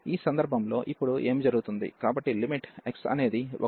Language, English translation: Telugu, In this case what will happen now, so limit x approaching to 1